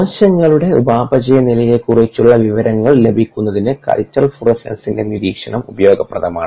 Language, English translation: Malayalam, the monitoring of culture florescence is useful for obtaining information on the metabolic status of cells